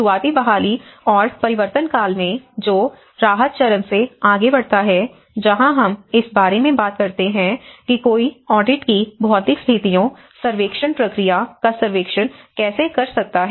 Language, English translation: Hindi, In the early recovery and transition, which moves on from the relief stage that is where we talk about how one can do a survey of the physical conditions of the audits, the audit process